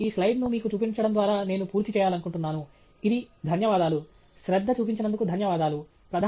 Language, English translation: Telugu, And so, I would like to finish by just showing you this slide, which is thank you; thank you for paying attention